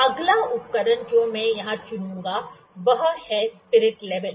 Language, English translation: Hindi, So, next instrument I will pick here is spirit level